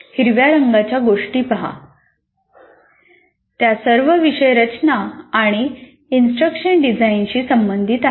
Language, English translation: Marathi, So, if you look at these things in green color, they are all related to course design or what we call instruction design